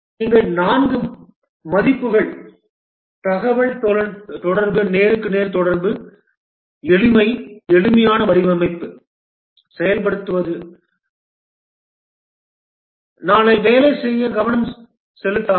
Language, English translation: Tamil, The four values here, communication, face to face communication, simplicity, implement the simplest design, may not pay attention for tomorrow, make it work